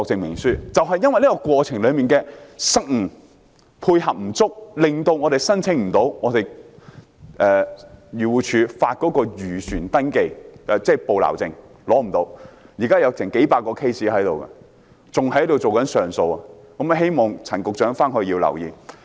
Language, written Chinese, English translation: Cantonese, 由於政府部門在有關過程中配合不足，令有些漁民無法申請漁護署發出的本地漁船登記證明書，現時有數百宗個案正等候上訴，希望陳局長多加留意。, But due to the lack of coordination between the government departments some fishermen are unable to apply for a Certificate of Registration of Local Fishing Vessel issued by AFCD . At present there are a few hundred cases on appeal and I hope that Secretary Prof Sophia CHAN can pay more attention to that